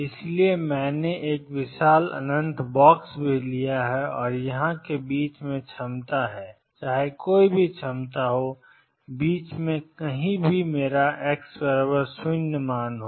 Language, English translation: Hindi, So, I have taken a huge infinite box and in between here is the potential no matter what the potential does and somewhere in the middle is my x equals 0